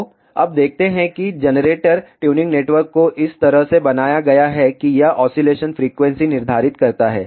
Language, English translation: Hindi, So, let us see now what happened the generator tuning network is designed such a way that it determines oscillation frequency